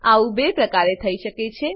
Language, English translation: Gujarati, This can be done in 2 ways 1